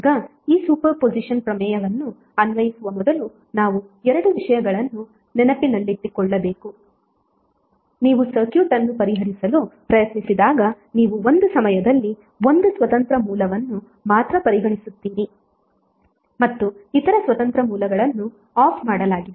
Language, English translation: Kannada, Now before applying this super position theorem we have to keep 2 things in mind that when you try to solve the circuit you will consider only one independent source at a time while the other independent sources are turned off